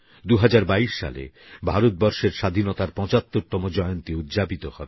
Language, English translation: Bengali, In 2022, we will be celebrating 75 years of Independence